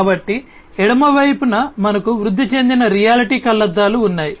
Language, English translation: Telugu, So, on the left hand side we have the augmented reality eyeglasses